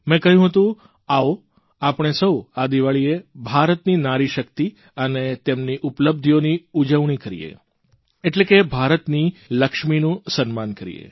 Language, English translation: Gujarati, I had urged all of you to celebrate India's NariShakti, the power and achievement of women, thereby felicitating the Lakshmi of India